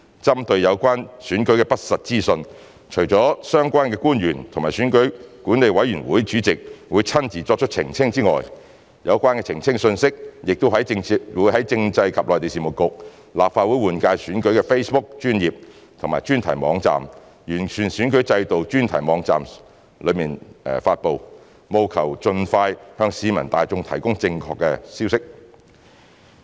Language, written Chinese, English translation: Cantonese, 針對有關選舉的不實資訊，除了相關官員及選舉管理委員會主席會親自作出澄清之外，有關澄清的信息亦會在政制及內地事務局、立法會換屆選舉的 Facebook 專頁及專題網站、完善選舉制度專題網站上發布，務求盡快向市民大眾提供正確消息。, Regarding the false information about the elections not only will the relevant officials and the EAC Chairman personally clarify the issues the relevant clarifications will also be posted on the website of CMAB the Facebook page and dedicated website of the Legislative Council General Election and the dedicated website on improving the electoral system with a view to providing the public with correct information as soon as possible